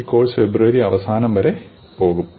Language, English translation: Malayalam, And this course will go on till the last week of February